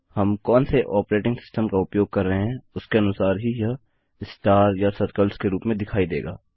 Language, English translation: Hindi, Depending on which operating system we are using, this will appear as stars or circles